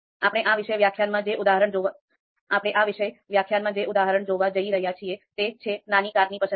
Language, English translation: Gujarati, The example that we are going to take in this particular lecture is choice of a small car